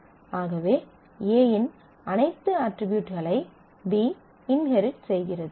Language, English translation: Tamil, So, B inherits all the properties of A, but can have some more properties